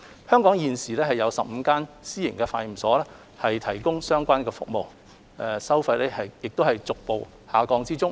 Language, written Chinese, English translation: Cantonese, 香港現時已有15間私營化驗所提供相關服務，收費亦逐步下降。, At present there are already 15 private laboratories in Hong Kong which can provide the relevant service and the cost has been dropping gradually